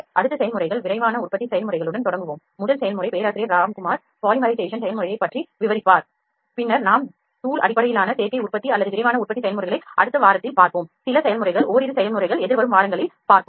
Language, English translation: Tamil, Next we will start with the processes rapid manufacturing processes the very first process professor Ramkumar will discusses polymerization process, then we will come up with powder based additive manufacturing or rapid manufacturing processes that would be come in the next week and a few processes a couple of processes would be discussed in the forthcoming weeks